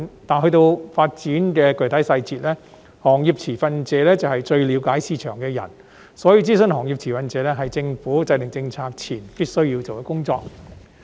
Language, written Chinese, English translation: Cantonese, 至於發展的具體細節，由於行業持份者是最了解市場的人，所以諮詢行業持份者是政府制訂政策前必須做的工作。, As for the specific details of development the consultation with industry stakeholders is what the Government must do before formulating policies because industry stakeholders are the ones who have the best understanding of the market